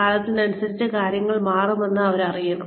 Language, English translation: Malayalam, They should know that, things are going to change with time